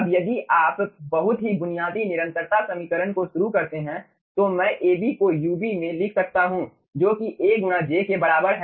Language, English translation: Hindi, now, if you start from the very basic continuity equation, then i can write down: ab to into ub is equals to a into j